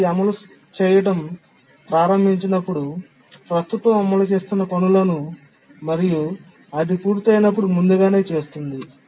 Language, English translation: Telugu, When it starts to run, preempts the currently executing tasks, and when it completes